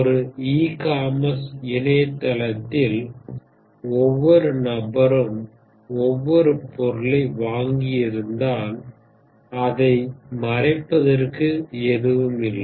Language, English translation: Tamil, In E commerce website, if every browser every person has bought every item then of course, there is no set to cover